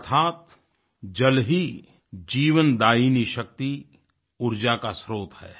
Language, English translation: Hindi, Meaning that it is water which is the life force and also, the source of energy